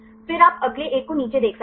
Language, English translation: Hindi, Then you can see the next one the down